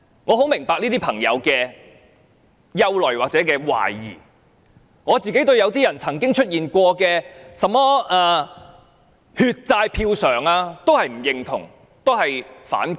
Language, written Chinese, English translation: Cantonese, 我很明白這些朋友的憂慮或懷疑，我本人曾經對"血債票償"並不認同及反感。, I clearly understand the concerns or skepticisms of these people . I for one was once against and resentful of the advocacy of repaying the debt of bloodshed by votes